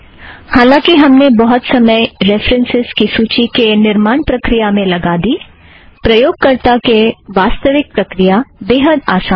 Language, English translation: Hindi, Although we have spent a lot of time explaining the procedure to create the references list, the actual procedure to be followed by the end user is extremely simple